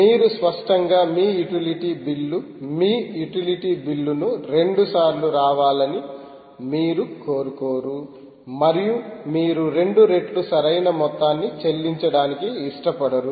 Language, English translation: Telugu, you obviously dont want your utility bill to produce your utility bill to appear twice and you pay twice the amount, right